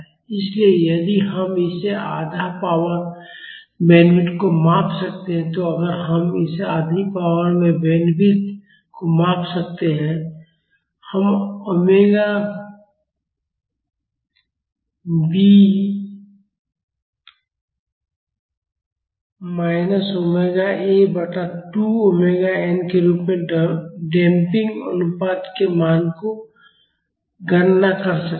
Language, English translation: Hindi, So, if we can measure this half power bandwidth, we can calculate the value of the damping ratio as omega b minus omega a by 2 omega n